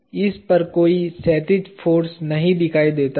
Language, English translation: Hindi, There is no horizontal force that appears on this